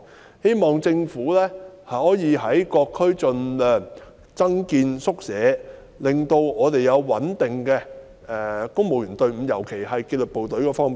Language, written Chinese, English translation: Cantonese, 我希望政府可以在各區盡量增建宿舍，令我們有穩定的公務員隊伍，尤其是紀律部隊方面。, I hope that the Government can build as many departmental quarters as possible in all districts so as to ensure stability in the civil service all the more so in the disciplined forces